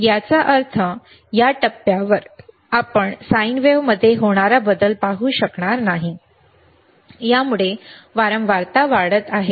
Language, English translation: Marathi, Tthat means, you at this point, you will not be able to see the change in the sine wave, that it is increasing the frequency